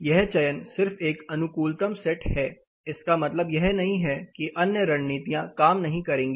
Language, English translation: Hindi, It is just an optimum set of selection it does not mean the other strategies you will not work an optimum selection